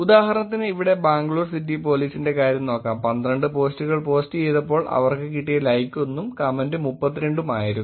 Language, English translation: Malayalam, For example here, it says let us look at it here, Bangalore City Police, the likes that they got were 1 and then the post that they did was 12 and the comments that they got was 32